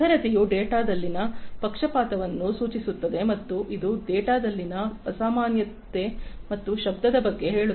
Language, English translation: Kannada, Veracity indicates the biasness in the data and it talks about the unusualness and noise in the data